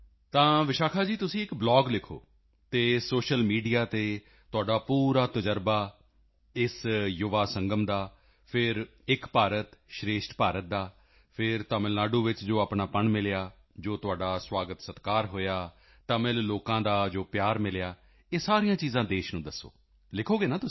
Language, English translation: Punjabi, So Vishakha ji, do write a blog and share this experience on social media, firstly, of this Yuva Sangam, then of 'Ek BharatShreshth Bharat' and then the warmth you felt in Tamil Nadu, and the welcome and hospitality that you received